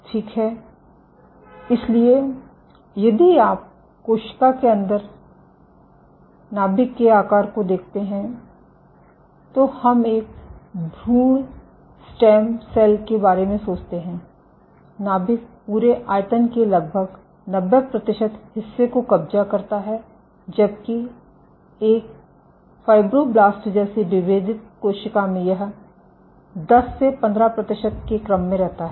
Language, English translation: Hindi, So, if you look at the nuclei sizes inside the cell, we think of an embryonic stem cell the nucleus occupies nearly 90 percent of the whole volume, while in a differentiated cell like a fibroblast, this is ordered 10 to 15 percent you can clearly see